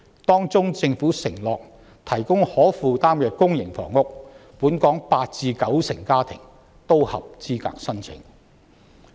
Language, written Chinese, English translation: Cantonese, 當中政府承諾提供可負擔的公營房屋，本港八至九成家庭均合資格申請。, Among them the Government has undertaken to provide affordable public housing for which 80 % to 90 % of local households are eligible to apply